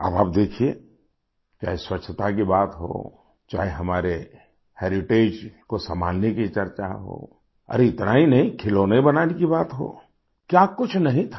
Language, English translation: Hindi, You see, whether it's about sanitation or a discussion on conserving our heritage; and not just that, reference to making toys, what is it that was not there